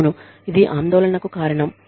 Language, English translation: Telugu, Yes, this is a cause for concern